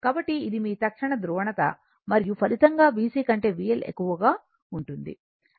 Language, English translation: Telugu, So, this is your instantaneous polarity, and there will be resultant will be that is V L greater than V C